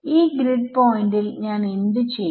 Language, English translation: Malayalam, So, at this grid point what do I do